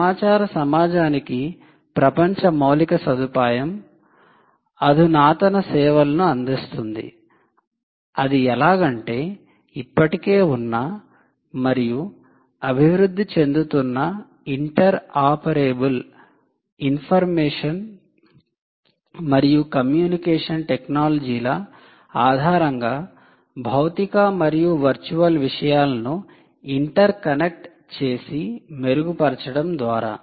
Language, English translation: Telugu, so it says global infrastructure for the information society, enabling advanced services by interconnecting physical and virtual things based on existing and evolving interoperable information and communication technologies